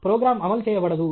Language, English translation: Telugu, The program will not converge